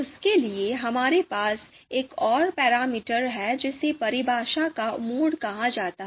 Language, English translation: Hindi, For that, we have another you know another parameter which is called mode of definition